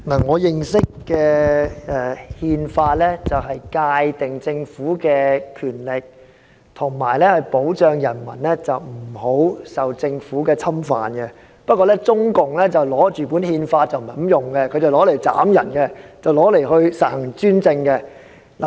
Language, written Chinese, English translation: Cantonese, 我認識的《憲法》是用來界定政府的權力和保障人民不受政府侵犯，但中共卻不是這樣用《憲法》，它拿來砍人，拿來實行專政。, The Constitution I know is used for defining the powers of the Government and protecting the people from the infringement of the Government . But the Chinese Communist Party does not use the Constitution this way . It uses the Constitution to kill people and implement its dictatorship